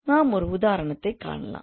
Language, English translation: Tamil, So we can look into an example